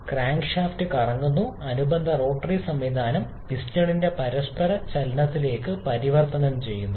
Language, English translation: Malayalam, The crankshaft rotates and the corresponding rotary mechanism is converted to the reciprocating motion of the piston by the crank assembly of crank mechanism